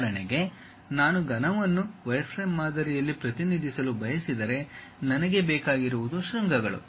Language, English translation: Kannada, For example, if I want to represent a cube, cuboid; in the wireframe model what I require is something like vertices